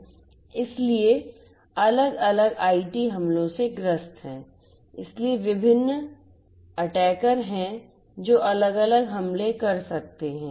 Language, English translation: Hindi, So, they are prone to IT attacks by different so there are different attackers who could be performing different attacks